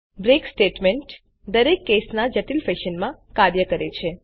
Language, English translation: Gujarati, without the break statement, the switch case functions in a complex fashion